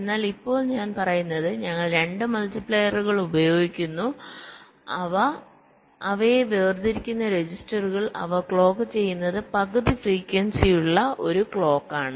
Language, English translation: Malayalam, but now what i am saying is that we use two multipliers with, again, registers separating them and their clocked by by a clocked was frequency is half